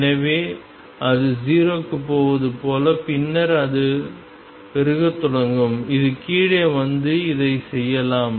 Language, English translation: Tamil, So, that as if it is going to 0 and then it will start blowing up it could do this come down and then do this